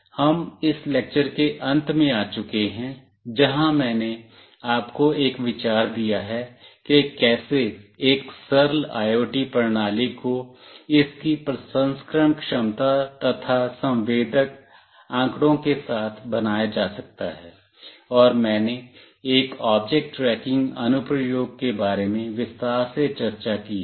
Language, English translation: Hindi, So, we have come to the end of this lecture, where I have given you an idea of how an simple IoT system could be built along with its processing capability, along with sensor data, and I have discussed in detail about one of the applications that is object tracking